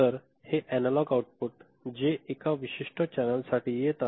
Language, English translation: Marathi, So, this analog output that is coming for a particular channel right